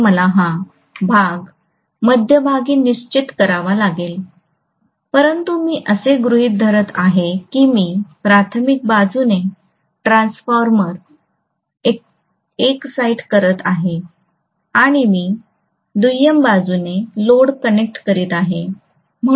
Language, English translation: Marathi, So I have to fix this portion in the middle, but I am assuming that I am exciting the transformer from the primary side and I am connecting the load on the secondary side